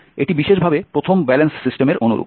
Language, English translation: Bengali, it is very similar to the first balance system